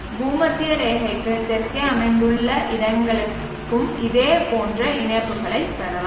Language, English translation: Tamil, Similar corollaries can be obtained for places located to the south of the equator also